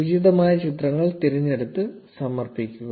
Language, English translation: Malayalam, Select the appropriate images and submit